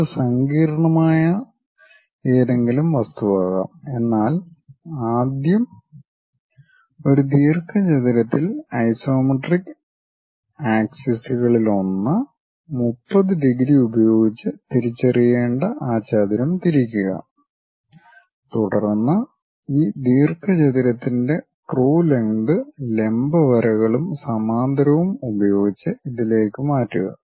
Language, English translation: Malayalam, It can be any complicated object, but first we have to enclose that in a rectangle, rotate that rectangle one of the isometric axis one has to identify with 30 degrees then transfer the true lengths of this rectangle onto this with the perpendicular lines and parallel kind of lines and locate the points which we will like to transfer it